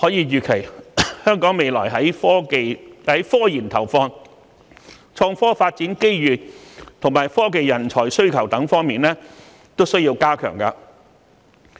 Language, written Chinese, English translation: Cantonese, 預期本港未來的科研投放、創科發展機遇和科技人才需求都需要增加。, It is expected that investment in scientific research IT development opportunities and demand for technological talents will have to be increased in Hong Kong in the future